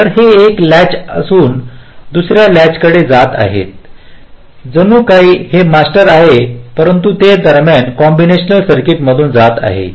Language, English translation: Marathi, so they will be moving from one latch to another as if this is master, as if this is slave, but it is going through the intermediate combinational circuit